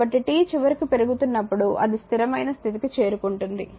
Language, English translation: Telugu, So, when t is increasing finally, it will reach to the steady state the 2 right